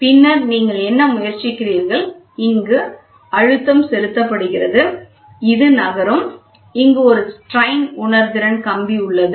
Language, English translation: Tamil, And then what are you trying to do so, this is pressure is applied, this is moving so, then you have a strain sensitive wire which is used